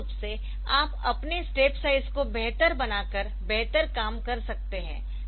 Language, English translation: Hindi, So, of course, you can better job by making your step size better